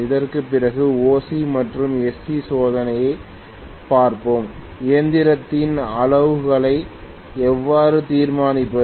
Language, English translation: Tamil, After this, we will be looking at OC and SC test, how to determine the parameters of the machine